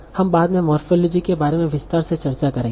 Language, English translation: Hindi, So we'll discuss in detail about it in morphology later